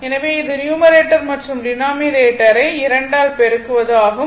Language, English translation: Tamil, So, this was your multiplying numerator and denominator by 2